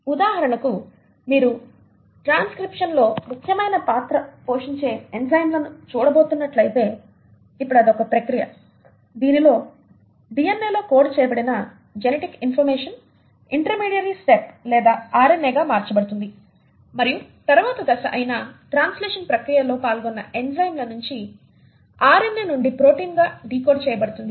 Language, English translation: Telugu, So for example if you are going to look at the enzymes which play an important role in transcription; now this is a process wherein this is a process wherein the genetic information which is coded in DNA gets converted to an intermediary step or RNA and then even the enzymes which are involved in the process of translation which is a next subsequent step wherein information then gets passed on and gets decoded from RNA into protein